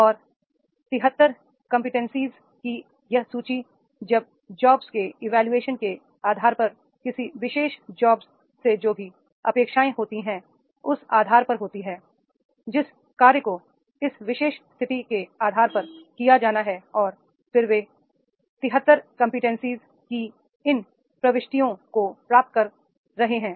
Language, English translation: Hindi, And this list of these 73 competencies is based on the whatever the expectations from a particular job on the basis of that job evaluation, basis of the task which is to be performed by this particular position and then they are having this entry 73 competencies that has been developed